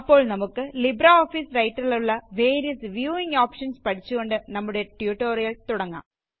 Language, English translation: Malayalam, So let us start our tutorial by learning about the various viewing options in LibreOffice Writer